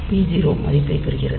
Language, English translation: Tamil, So, this p 0 is getting the value